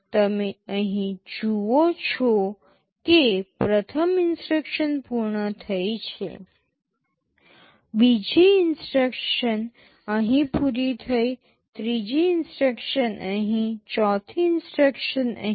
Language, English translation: Gujarati, You see here first instruction is finished; second instruction was finished here, third instruction here, fourth instruction here